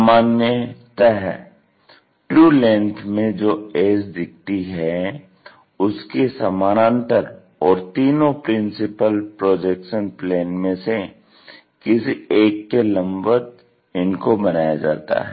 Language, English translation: Hindi, Usually, these are constructed parallel to the edge which is to be shown in true length and perpendicular to any of the three principle projection planes